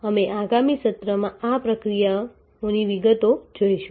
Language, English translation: Gujarati, We will see details of these processes in the next session